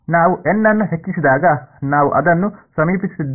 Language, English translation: Kannada, As we increase n we are approaching that